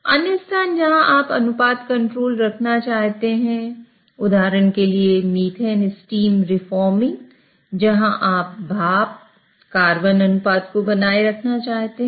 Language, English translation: Hindi, Another place where you might want to have ratio control is, for example, methane steam reforming where you want to maintain steam to carbon ratio